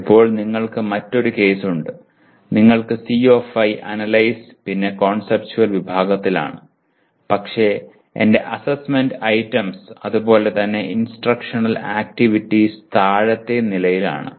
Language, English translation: Malayalam, Now you have another case, you have CO5 is in analyze conceptual category but I have my assessment items as well as instructional activities or all at the lower level activities